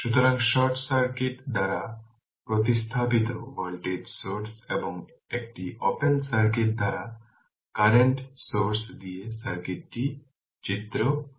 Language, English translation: Bengali, So, figure 47 the circuit with the voltage sources replaced by short circuit and the current sources by an open circuit right